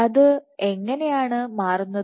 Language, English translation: Malayalam, And how does it change